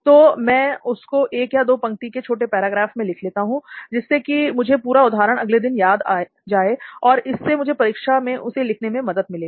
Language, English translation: Hindi, So I just write about that short para, very short one line or two lines, which will recollect me the entire example the next day and which will help me to write down that example in the exam